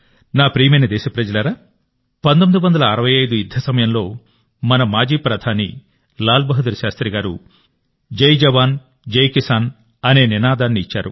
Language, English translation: Telugu, My dear countrymen, during the 1965 war, our former Prime Minister Lal Bahadur Shastri had given the slogan of Jai Jawan, Jai Kisan